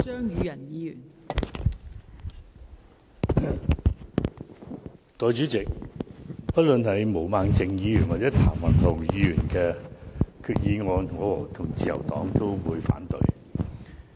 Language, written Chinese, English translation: Cantonese, 代理主席，不論是毛孟靜議員或譚文豪議員的議案，我與自由黨都會反對。, Deputy President the Liberal Party and I oppose the motions of Ms Claudia MO and Mr Jeffrey TAM